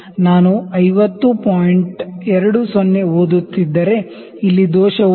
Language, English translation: Kannada, 20, if this error is 0